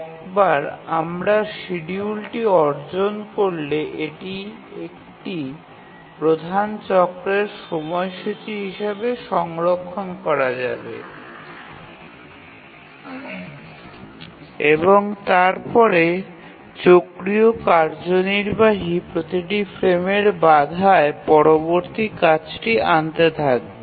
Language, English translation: Bengali, And once we derive the schedule, it can be stored as the schedule for one major cycle and then the cyclic executive will keep on fetching the next task on each frame interrupt